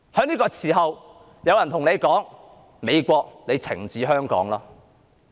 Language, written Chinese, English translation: Cantonese, 在這個時候，有人說："美國，你懲治香港吧"。, Some people are now telling the United States to punish Hong Kong